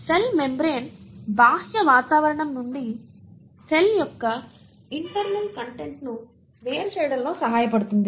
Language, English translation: Telugu, The cell membrane helps in segregating the internal content of the cell from the outer environment